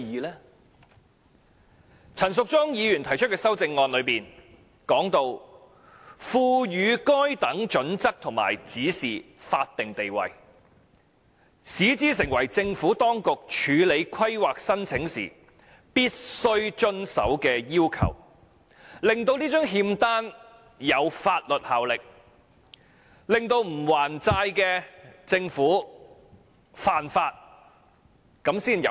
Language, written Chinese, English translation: Cantonese, 反之，陳淑莊議員提出的修正案要求："賦予該等準則和指引法定地位，使之成為政府當局處理規劃申請時必須遵守的要求"，令這張欠單具有法律效力，如果政府不還債便干犯法例，這樣才有用。, Instead the demands made by Ms Tanya CHAN in her amendment namely vesting these standards and guidelines statutory statuses and making them necessary requirements for compliance by the Administration in processing planning applications would be a better alternative because in that case the IOU will have legal effect and the Government will contravene the law should it fail to pay off the debt